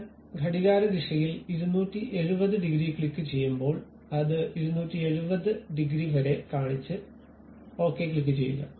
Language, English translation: Malayalam, When I click 270 degrees in the clockwise direction, it showed only up to 270 degrees and click Ok